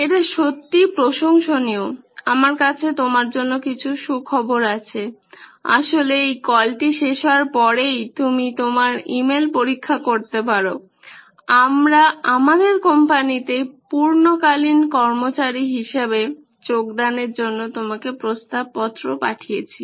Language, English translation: Bengali, It is really impressive, in fact I have some good news for you after this call is over you can check your email we have sent you an offer letter to join our company as a full time employee